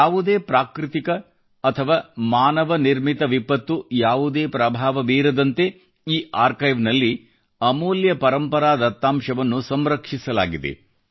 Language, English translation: Kannada, Invaluable heritage data has been stored in this archive in such a manner that no natural or man made disaster can affect it